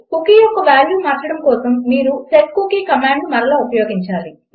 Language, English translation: Telugu, To change the value of a cookie, youll have to use setcookie command again